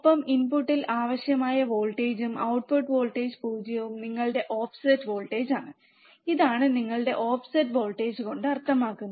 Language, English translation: Malayalam, And the voltage required at the input to make output voltage 0 is your offset voltage, this is what offset voltage means